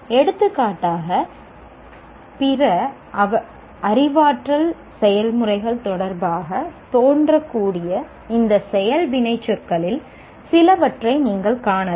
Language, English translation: Tamil, For example, you may find some of these action verbs, they may appear with respect to other cognitive processes as well